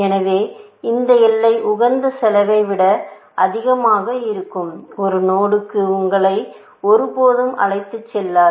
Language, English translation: Tamil, So, this boundary will never take you to a node, which is more expensive than the optimal cost